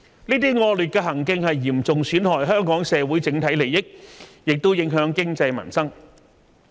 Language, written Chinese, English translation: Cantonese, 這些惡劣行徑嚴重損害香港社會整體利益，也影響經濟民生。, Such misconduct not only causes severe damage to the overall interests of the Hong Kong society but also affects the economy and peoples livelihood